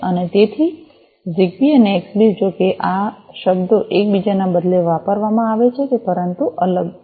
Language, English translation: Gujarati, So, ZigBee and Xbee, although these terms are used interchangeably, but they are different